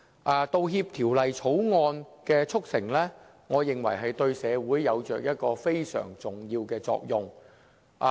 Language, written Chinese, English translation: Cantonese, 我認為《條例草案》的促成，對社會有着非常重要的作用。, I believe the passage of the Bill will be beneficial to our society